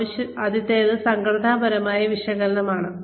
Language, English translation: Malayalam, The first is organizational analysis